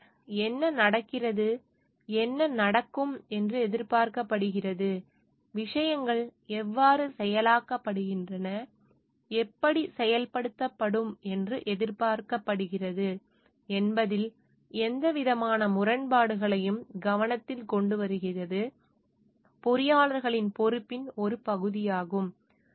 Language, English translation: Tamil, So, it is a part of responsibility of the engineers to bring to focus any sort of like discrepancy in the how what is happening, and what is expected to happen, how things are like being processed, and how it is expected to be processed, which may lead to some hazards